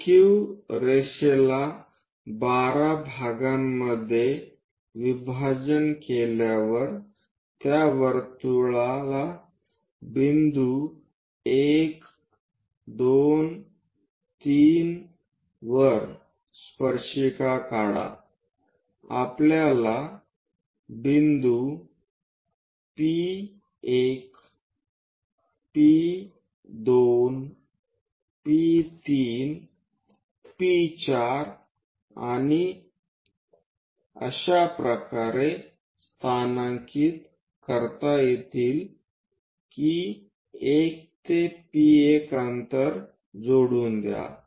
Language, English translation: Marathi, After dividing PQ line into 12 parts circle into 12 parts after drawing these tangents to that circle at point 1, 2, 3 we have to locate points P1, P2, P3, P4 and so on in such a way that 1 to P1 distance let us pick first point 1 to P1 point equal to P2 1 prime